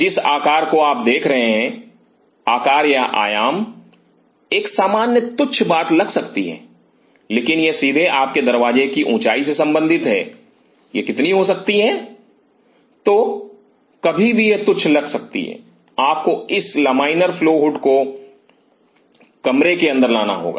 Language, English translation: Hindi, The size you are looking forward to size or dimension one may sound a trivia point, but it is directly related to your door height it may how much So, ever trivia it may sounds, you have to get this laminar flow would inside the room